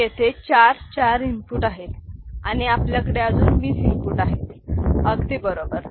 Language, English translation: Marathi, So, there goes 4, 4 inputs and we have another 20 inputs to place, right